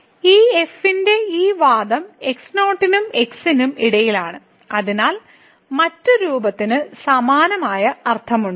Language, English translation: Malayalam, So, this argument of this lies between and , so it has the same similar meaning what the other form has